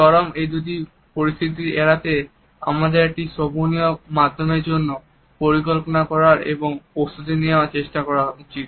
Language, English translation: Bengali, In order to avoid these two situations of extreme, we should try to plan and prepare for a happy medium